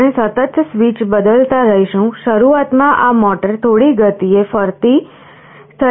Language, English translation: Gujarati, We would be continuously pressing the switch; initially the motor will be rotating at some speed